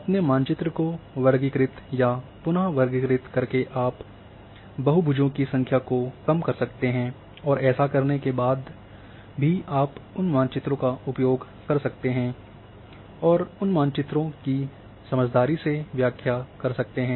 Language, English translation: Hindi, So, you can then later on classify or reclassify your map you can reduce the number of polygons and still you can use those maps and make senseful interpretation of those maps